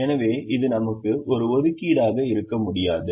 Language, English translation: Tamil, so this one, we cannot have an assignment